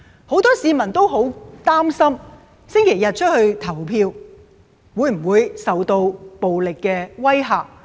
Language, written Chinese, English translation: Cantonese, 很多市民擔心周日出門投票會否受到暴力的威嚇？, Many people are concerned whether or not they will be subject to violent threats if they go and cast their votes on Sunday